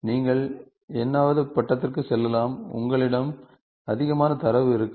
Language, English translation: Tamil, You can go to n’th degree, you will have more data